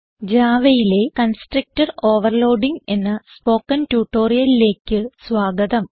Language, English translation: Malayalam, Welcome to the Spoken Tutorial on constructor overloading in java